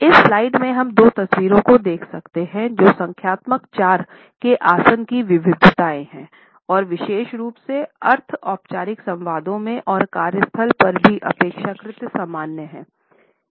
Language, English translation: Hindi, In this slide, we can look at two photographs which are the variations of numerical 4 posture and they are also relatively common particularly in semi formal dialogues; even at the workplace